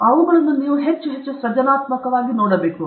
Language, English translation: Kannada, Then it will make you more and more creative okay